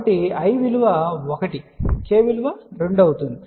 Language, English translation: Telugu, So, 1, j is 1 so i is 1, k is 2